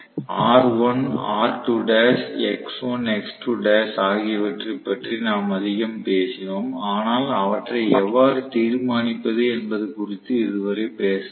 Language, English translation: Tamil, We talk so much about R1 R2 dash x1 x2 dash but we did not talk so far as to how to determent them